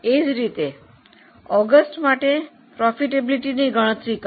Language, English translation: Gujarati, Calculate the profitability for August